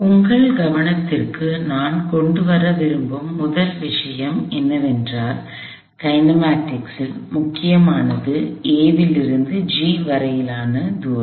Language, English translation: Tamil, So, let us take that first, the first point that I want to bring to your notice is that, the only part that matters for the kinematics is the distance from A to G